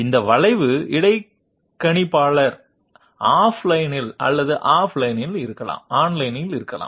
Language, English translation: Tamil, And these curve interpolators maybe off line or online